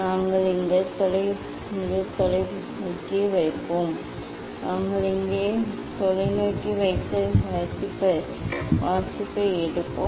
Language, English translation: Tamil, we will put telescope here; we will put telescope here and take the reading